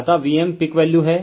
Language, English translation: Hindi, So, v m is the peak value